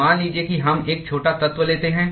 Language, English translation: Hindi, So, let us say we take a small element